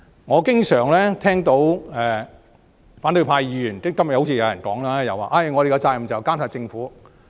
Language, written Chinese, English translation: Cantonese, 我經常聽到反對派議員說——今天也有議員這樣說——我們的責任是監察政府。, I have always heard a remark by the opposition camp―today some Members have made the same remark―that we are duty - bound to monitor the Government